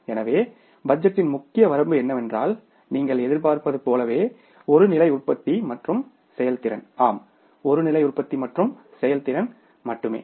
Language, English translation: Tamil, So, major limitation of this budget is that you are anticipating only one level of production and the performance, only one level of production and performance